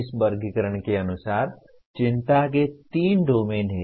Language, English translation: Hindi, As per this taxonomy, there are three domains of concern